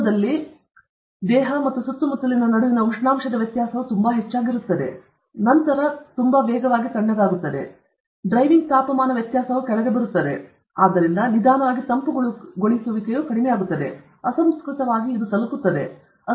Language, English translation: Kannada, Initially, the temperature difference between the body and the surroundings will be very high; therefore, it will cool very fast; then, the driving temperature difference comes down; therefore, slowly the cooling will reduce; asymptotically it will reach the…; asymptotically it will reach the ambient temperature